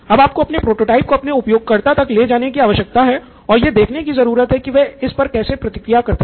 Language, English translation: Hindi, Now you need to take your prototype to the customer and observe how they react to it